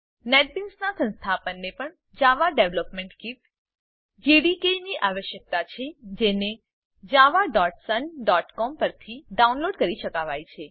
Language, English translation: Gujarati, The installation of Netbeans also requires the installtion of the Java Development Kit, which can be downloaded from java.sun.com